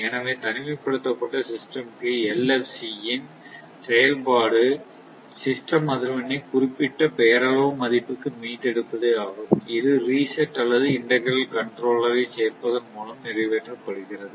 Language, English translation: Tamil, So So, for isolated system, the function of 1FC is to restore system frequency to the specified nominal value and this is accomplished by adding a reset or integral controller